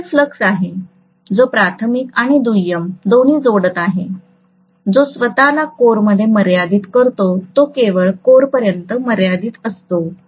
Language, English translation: Marathi, Phi m is the mutual flux, which is linking both primary and secondary, which is confining itself to the core, it is just confining itself to the core